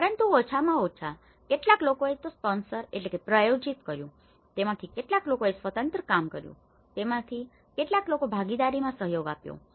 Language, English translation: Gujarati, But at least some of them they sponsored it, some of them they worked independently, some of them they collaborated with partnerships